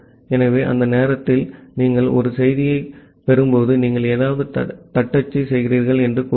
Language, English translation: Tamil, So, when you are receiving a message during that time say, you are typing something